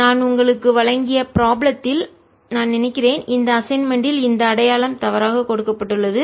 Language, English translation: Tamil, i think in the problem that i gave you i had in the assignment this sign is given incorrectly, so correct that now